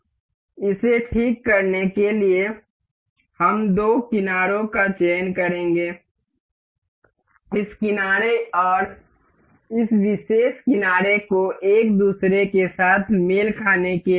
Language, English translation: Hindi, To fix this, we will select the two edges, this edge and this particular edge to make it coincide with each other